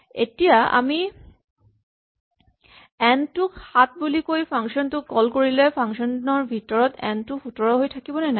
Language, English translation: Assamese, The question is, we have asked n to be 7 then we call this function n became 17 inside the function is n 17 now or not